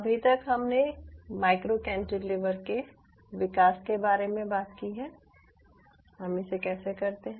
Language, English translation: Hindi, ok, so as of now, we have talked about the development of micro cantilever, how we do it